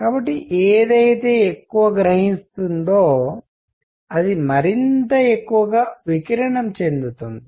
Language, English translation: Telugu, So, something that absorbs more will also tend to radiate more